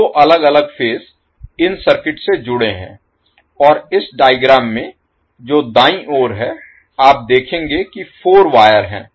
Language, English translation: Hindi, So, 2 different phases are connected to these circuit and in this figure which is on the right, you will see there are 4 wires